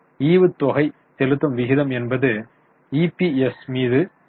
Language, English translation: Tamil, Dividend payout ratio is DPS upon EPS